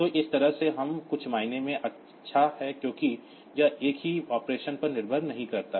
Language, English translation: Hindi, So, that way it is in some sense it is good because it does not depend on the some operation